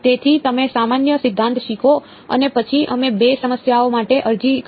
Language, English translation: Gujarati, So, you learn the general theory and then we applied to two problems ok